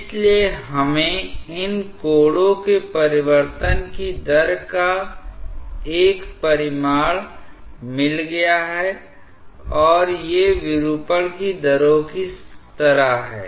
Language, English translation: Hindi, So, we have got a quantification of the rate of change of these angles and these are like rates of deformation so to say